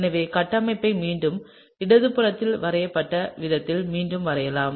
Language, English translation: Tamil, So, let’s draw out the structure once again, exactly the way it is drawn on the left